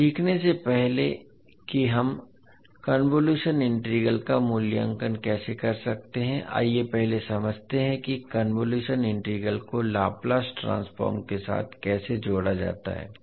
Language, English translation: Hindi, Now before learning how we can evaluate the convolution integral, let us first understand how the convolution integral is linked with the Laplace transform